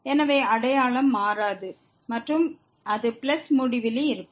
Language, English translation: Tamil, So, sign will not change and it will be plus infinity